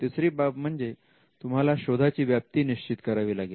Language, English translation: Marathi, The third thing is to describe the scope of the search